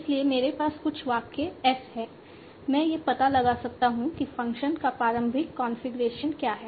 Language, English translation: Hindi, So I have some sentence as yes, I can find out what initial configuration is, why the function